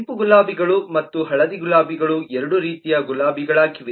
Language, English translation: Kannada, red roses and yellow roses are both kinds of roses